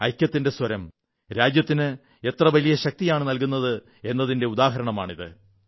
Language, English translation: Malayalam, It is an example of how the voice of unison can bestow strength upon our country